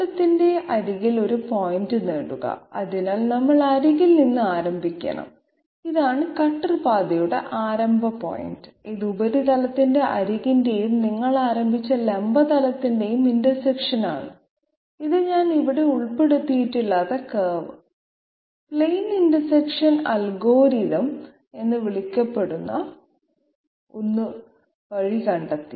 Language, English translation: Malayalam, Get a point on the edge of the surface so we have to start from the edge, this is the start point of the cutter path and this is the intersection of the edge of the surface and the vertical plane that you have started with and this is found out by something called curve plane intersection algorithm, which I had not included here